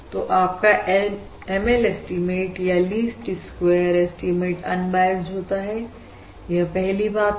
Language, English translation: Hindi, So your ML or basically least squares estimates, the ML or least squares estimate, is unbiased